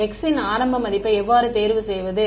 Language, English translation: Tamil, How do we choose an initial value for x